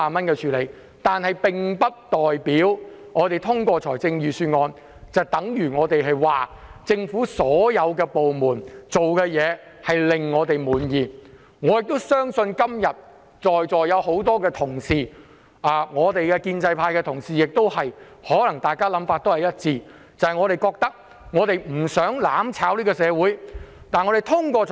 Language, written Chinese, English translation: Cantonese, 可是，我們支持通過預算案，並不代表政府所有部門做的事皆令我們滿意，我相信今天很多在席同事，包括建制派同事，大家的想法也可能一致，就是我們不想社會被"攬炒"。, However our support for the passage of the Budget does not mean that we are satisfied with the performance of all government departments . I believe many colleagues here including those from the pro - establishment camp may have the same thing in mind . We do not want society to be brought down by the mutual destruction activities